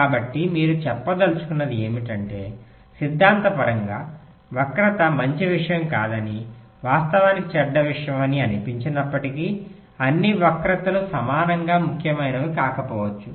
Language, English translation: Telugu, so what you mean to say is that, although theoretically, skew seems to be not a good thing, a bad thing in fact but all skews may not be, may not be equally important